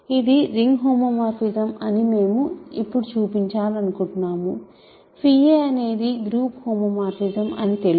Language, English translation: Telugu, So, we want to now show that it is a ring homomorphism, small phi a is a group homomorphism right